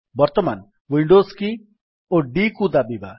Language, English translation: Odia, Let us now press Windows key and D